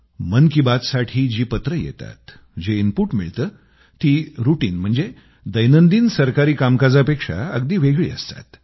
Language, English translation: Marathi, The letters which steadily pour in for 'Mann Ki Baat', the inputs that are received are entirely different from routine Government matters